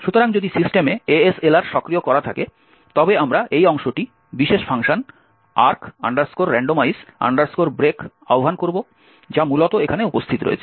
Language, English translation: Bengali, So, if ASLR is enabled on the system we invoke this part particular function arch randomize break which essentially is present here